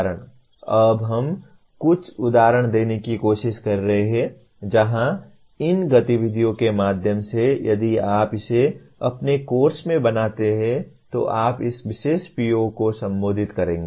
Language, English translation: Hindi, Now we are trying to give some examples where through these activities if you build it into your course, you will be addressing this particular PO